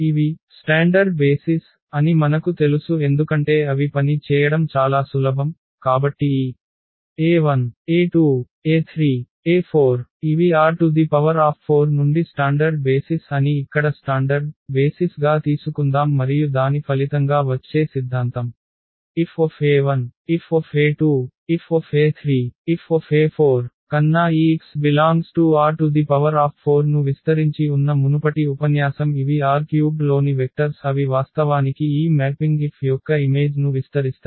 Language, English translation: Telugu, So, we know that these a standard basis because they are simple to work with, so let us take whether standard basis here that this e 1, e 2, e 3, e 4 these are the standard basis from R 4 and we know that the theorem that result from the previous lecture that these e s span this x R 4 than this F e 1, F e 2, F e 3, F e 4 these are the vectors in R 3 and they will span actually the image of this mapping F